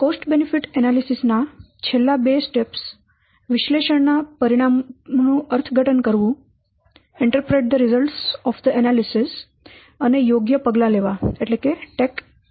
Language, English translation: Gujarati, So the last two steps of CB analysis are interpret the results of the analysis and then take appropriate action